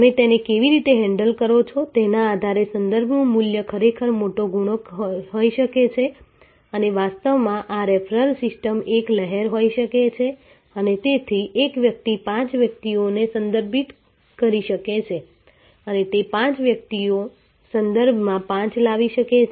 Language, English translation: Gujarati, The value of referrals can be actually a big multiplier depending on how you handle it and actually this referral system can be a ripple and therefore, one person can refer five persons and those five persons can bring in five each